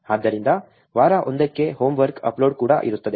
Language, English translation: Kannada, So, there will be also homework upload for week 1